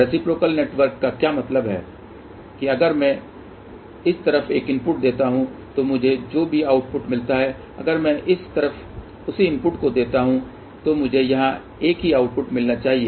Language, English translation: Hindi, That if I give a input on this side whatever the output I get if I get this same input on this side then I should get the same output here